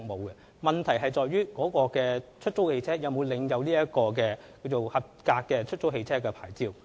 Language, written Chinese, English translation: Cantonese, 因此，問題在於該出租汽車是否領有有效的出租汽車許可證。, Therefore the question lies in whether the cars for hire have valid HCPs